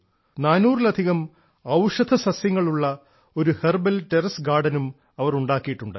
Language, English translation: Malayalam, She has also created a herbal terrace garden which has more than 400 medicinal herbs